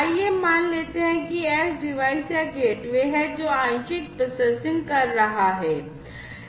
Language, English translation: Hindi, Let us assume, that this is the edge device or the gateway, which is doing partial processing